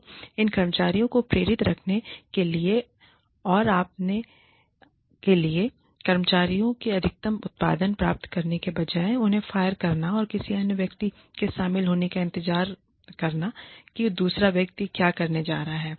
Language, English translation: Hindi, So, in order to keep these employees motivated, and in order to, you know, to get the maximum output, from these employees, instead of firing them, and waiting for another person to join, and wondering, what the other person is going to do